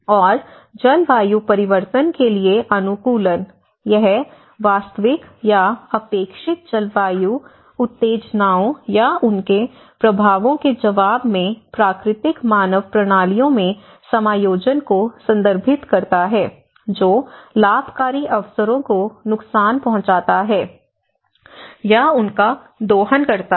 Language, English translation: Hindi, And adaptation to climate change; it refers to adjustment in natural human systems in response to actual or expected climatic stimuli or their effects which moderates harm or exploits beneficial opportunities